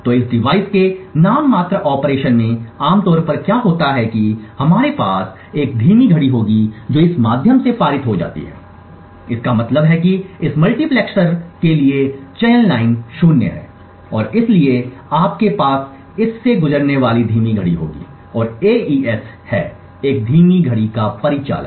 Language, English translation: Hindi, So what would typically happen in the nominal operation of this device is that we would have a slow clock which is passed through so this means that the select line for this multiplexer is zero and therefore you would have a slow clock passing through this and AES is operational on a slow clock